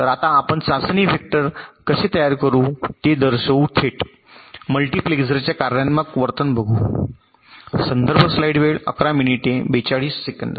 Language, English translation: Marathi, so we shall show now that how you can generate the test vectors directly by looking at the functional behaviour of a multipexer